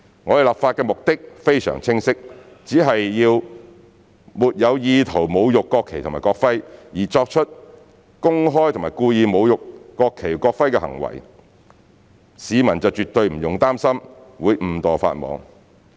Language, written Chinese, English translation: Cantonese, 我們的立法目的非常清晰，只要沒有意圖侮辱國旗及國徽，而作出公開及故意侮辱國旗或國徽的行為，市民絕對不用擔心會誤墮法網。, Our legislative intent is very clear . Therefore there is absolutely no need for members of the public to worry about inadvertently contravening the law if they have no intention to desecrate the national flag and national emblem and commit public and intentional desecrating acts in relation to the national flag and national emblem